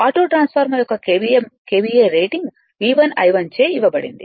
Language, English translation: Telugu, KVA rating of the auto transformer is given by V 1 I 1